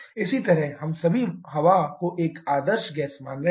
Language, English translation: Hindi, Similarly, we are all assuming air to be an ideal gas